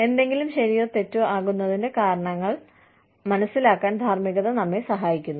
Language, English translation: Malayalam, Ethics, helps us understand reasons, why something is right or wrong